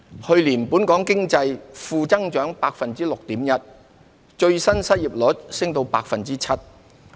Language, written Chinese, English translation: Cantonese, 去年本港經濟負增長 6.1%， 最新失業率升至 7%。, In the past year Hong Kongs economy recorded a negative growth of 6.1 % with the latest unemployment rate rising to 7 %